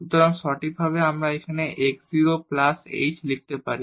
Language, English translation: Bengali, So, precisely we can also write here x 0 plus h